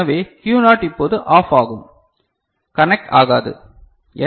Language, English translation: Tamil, So, Q naught now will go OFF will become non conducting right